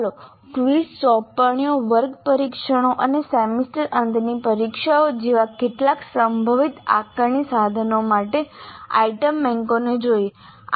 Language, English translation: Gujarati, Now let us look at the item banks for some of the possible assessment instruments like quizzes, assignments, class tests and semester and examinations